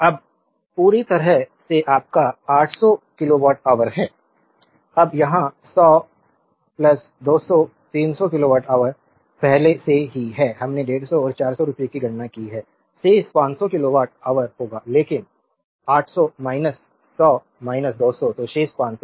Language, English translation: Hindi, Now, totally is your 800 kilowatt hour, now here it is 100 plus, 200, 300 kilowatt hour already we have computed rupees 150 and 400 remaining will be 500 kilowatt hour , but the 800 minus 100 minus 200 so, remaining 500